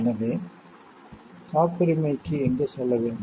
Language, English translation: Tamil, So, where to go for look for patent